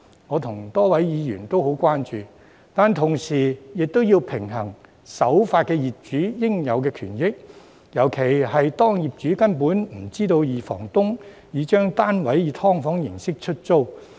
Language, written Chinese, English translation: Cantonese, 我與多位議員對此也很關注，但同時亦要平衡守法業主的應有權益，尤其是當業主根本不知道二房東已將單位以"劏房"形式出租。, While a number of Members and I are very concerned about this issue we also have to balance the interests of law - abiding landlords especially those who are in the dark about the main tenants subletting their units as SDUs